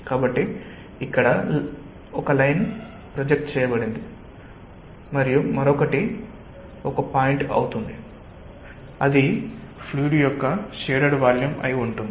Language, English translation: Telugu, so one line is projected here and another it becomes a point, and it should be the shaded volume of the fluid